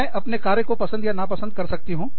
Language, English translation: Hindi, I can, like or dislike, my work